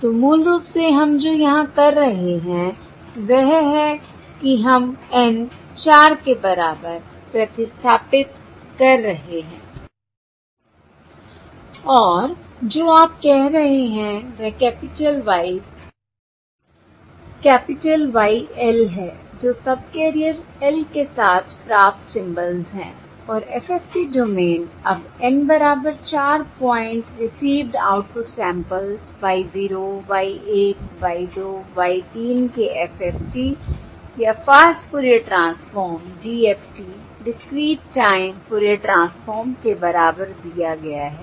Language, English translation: Hindi, So basically this: what we are doing here is we are substituting N equal to, we are substituting N is equal to four And that is what you are saying is the capital Ys, that capital YL, that is the received symbol across subcarrier L and FFT domain, is now given by the four pointer: N equal to four, point FFT, or Fast Fourier Transform, DFT, Discreet Fourier Transform of the received output samples: Y, zero, Y one, Y two, uh, Y three